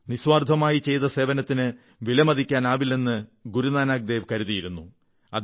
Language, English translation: Malayalam, Guru Nank Dev ji firmly believed that any service done selflessly was beyond evaluation